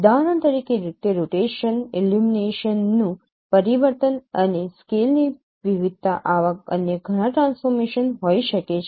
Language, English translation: Gujarati, For example, it could be rotation, change of illuminations, variation of scale, like many other such transformation